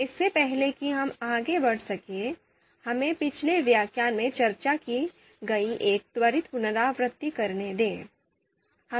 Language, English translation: Hindi, So before we can move ahead, let us do a quick recap of what we discussed in the previous lecture